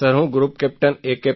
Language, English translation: Gujarati, Sir I am Group Captain A